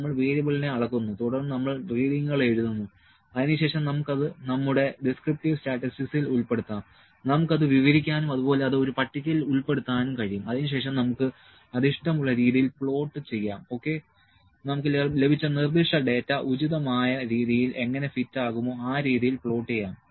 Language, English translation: Malayalam, We measure the variable then we note on the reading, then we can have we can just put it in our descriptive statistic, we can describe it and put it in a table, then we can plot it the way we like ok, the way that fits proper to the specific data that we are obtained